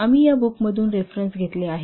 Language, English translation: Marathi, We have taken the references from these books